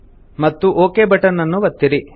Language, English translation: Kannada, And then click on the OK button